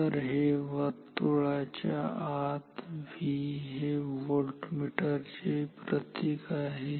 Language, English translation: Marathi, So, this is the symbol of a voltmeter a V inside a circle